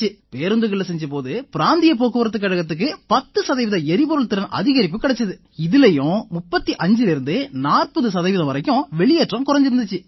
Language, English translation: Tamil, When we tested on the Regional Transport Corporation buses, there was an increase in fuel efficiency by 10 percent and the emissions reduced by 35 to 40 percent